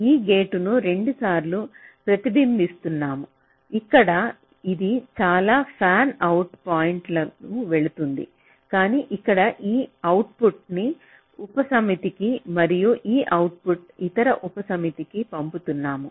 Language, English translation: Telugu, so here it maybe going to many of the fanout points, but here we are sending this output to a subset and this output to the other subset